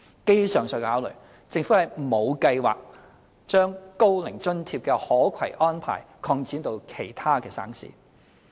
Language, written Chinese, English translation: Cantonese, 基於上述考慮，政府沒有計劃將高齡津貼的可攜安排擴展至其他省市。, Taking into account the above considerations the Government does not plan to extend the portability arrangements of OAA to other provinces